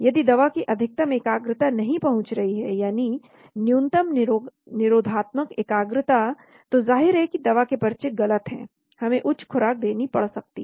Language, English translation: Hindi, If the drug’s maximum concentration does not reach, the minimum inhibitory concentration then obviously drug prescription is wrong, we may have to give higher dosage